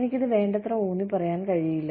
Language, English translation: Malayalam, I cannot emphasize on this enough